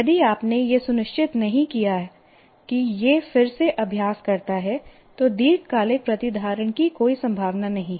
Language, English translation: Hindi, That you can, if you have not looked at it, practiced again, there is no chance of long term retention at all